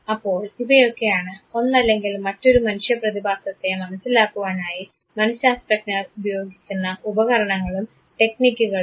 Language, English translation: Malayalam, So, this is overall the tools the techniques that are used by psychologists to understand one or the other human phenomena